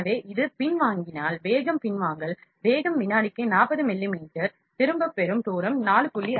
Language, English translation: Tamil, So, this is a retraction speed, retraction speed is 40 mm millimeter per second, retraction distance is 4